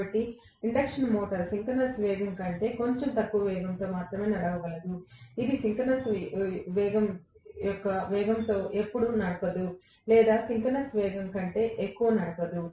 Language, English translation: Telugu, So, induction motor can run only at the speed which is slightly less than synchronous speed, it can never ever run at the speed of synchronous velocity or it cannot run above synchronous speed